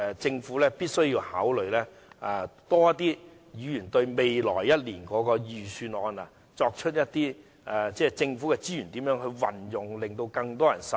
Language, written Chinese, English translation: Cantonese, 政府必須多些考慮議員對未來一年預算案的意見，妥善運用政府資源，令更多人受惠。, The Government must give more consideration to Members views on the budget for the coming year and duly make use of government resources to benefit more people